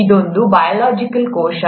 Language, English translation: Kannada, It is a biological cell